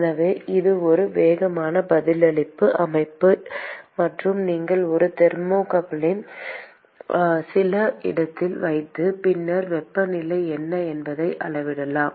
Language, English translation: Tamil, So, it is a fast response system and, you put a thermocouple in some location and then you can measure what is the temperature